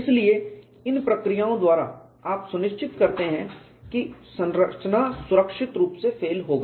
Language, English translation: Hindi, So, by these procedures you ensure the structure would fail safely